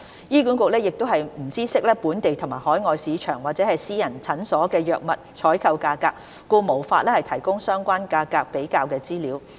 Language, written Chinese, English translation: Cantonese, 醫管局亦不知悉本地和海外市場或私人診所的藥物採購價格，故無法提供相關價格比較資料。, HA is also unable to provide relevant price comparisons as it does not have information about the prices of drugs in the local and overseas markets or those purchased by private clinics